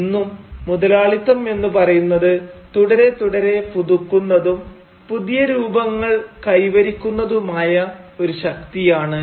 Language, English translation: Malayalam, And, indeed even today, capitalism is a force that is continuously renewing itself and taking newer forms